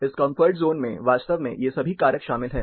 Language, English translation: Hindi, This comfort zone actually includes this all these factors